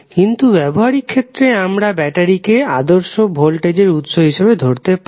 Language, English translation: Bengali, But for a practical purpose we can consider battery as ideal voltage source